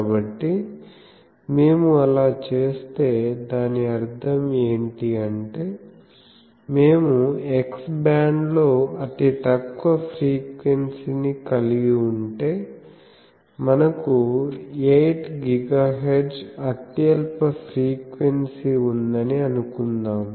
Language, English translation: Telugu, So, if we do that; that means, if we are the lowest frequency let us say that we are having X band so 8 gigahertz lowest frequency; so, roughly 2